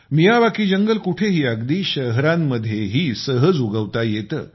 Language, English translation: Marathi, Miyawaki forests can be easily grown anywhere, even in cities